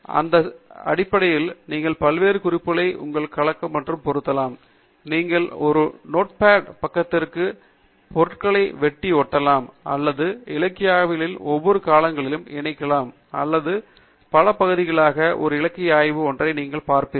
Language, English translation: Tamil, And this format is such that you can mix and match the different reference items yourself; you can cut and paste to the items into a Notepad editor and join your literature survey across the different periods or you can split one literature survey into multiple parts